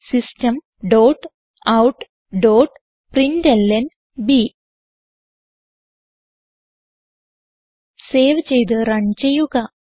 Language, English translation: Malayalam, System dot out dot println Save and Run